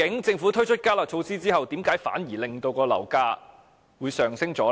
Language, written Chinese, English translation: Cantonese, 政府推出"加辣"措施後，究竟為何反而令到樓價上升呢？, After the Government had introduced the enhanced curb measure why did property prices rise instead of dropping?